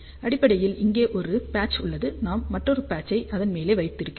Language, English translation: Tamil, So, basically here there is a one patch we put another patch on top of that